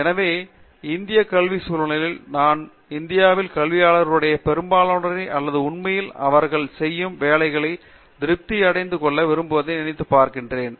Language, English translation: Tamil, So, keep in mind, in the Indian academic context I think most of the academics in India or actually on this job because they wanted to derive satisfaction out of the job that they doing